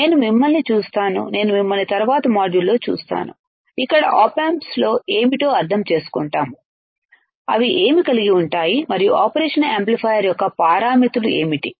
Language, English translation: Telugu, And I will see you I will see you in the next module, I will see you in the next module, where we will understand the op amps further that what they what they consist of and what are the parameters of the operational amplifier all right